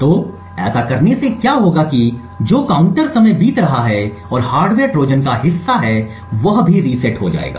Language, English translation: Hindi, So, by doing so what would happen is that the counter which is counting the time elapsed and is part of the hardware Trojan would also get reset